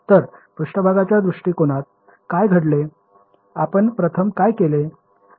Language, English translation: Marathi, So, what happened in the surface approach, what was the first thing that we did